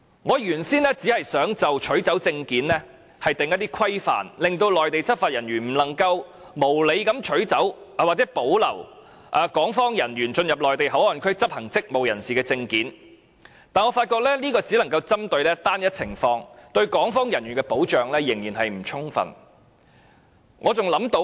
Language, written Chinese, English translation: Cantonese, 我原先只想就取走證件作出規範，令內地執法人員不能無理地取走或保留港方人員進入內地口岸區執行職務時使用的證件，但我發覺這只能針對單一情況，對港方人員的保障仍然不充分。, Initially I wanted to lay down only the regulation on confiscation of documents so that Mainland law enforcement officers cannot confiscate or keep the documents used by personnel of the Hong Kong authorities to enter MPA to carry out their duties . Yet I then realized that this approach could merely deal with a single situation and the protection provided for personnel of the Hong Kong authorities would be inadequate